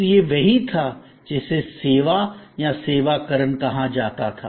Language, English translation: Hindi, So, this was what then got termed as servitization or servisization